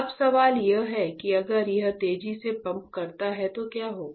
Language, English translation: Hindi, Now, the question is if it pumps faster, what will happen